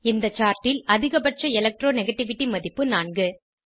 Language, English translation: Tamil, In the chart, highest Electro negativity value is 4